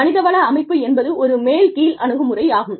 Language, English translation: Tamil, The HR system is a top down approach